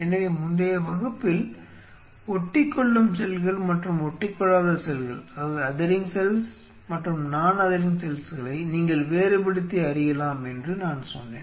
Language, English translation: Tamil, So, here let me highlight that you can, in the previous class I told you that you can distinguish between adhering cell and non adhering cells right